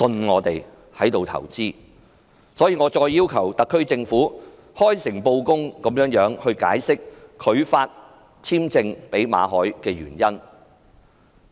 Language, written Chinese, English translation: Cantonese, 我再次要求特區政府開誠布公，解釋拒發簽證予馬凱的原因。, Once again I ask the SAR Government to be frank and open by disclosing the reasons for refusing to renew Victor MALLETs work visa